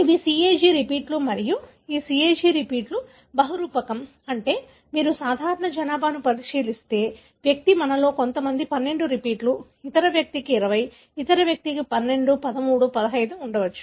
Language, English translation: Telugu, These are CAG repeats and this CAG repeats are polymorphic, meaning if, if you look into the normal population, the individual could, some of us could have 12 repeats, other person could have 20, other person could have 12, 13, 15